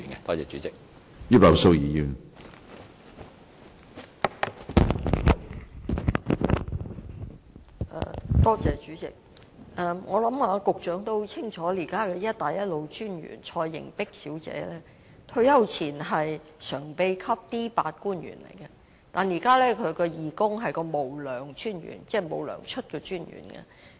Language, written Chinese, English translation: Cantonese, 我想局長也很清楚，現時"一帶一路"專員蔡瑩璧小姐在退休前是常任秘書長，屬 D8 級官員，但現在她是義工，"無糧"專員——即沒有薪酬的專員。, I think the Secretary is fully aware that the current CBR Ms Yvonne CHOI was a permanent secretary at D8 before retirement . But now she is a voluntary no pay commissioner